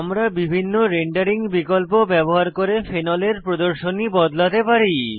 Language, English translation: Bengali, We can modify the display of phenol using various rendering options